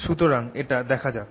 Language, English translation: Bengali, so let us have a look at that